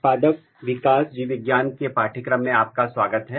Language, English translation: Hindi, Welcome back to the course of, Plant Developmental Biology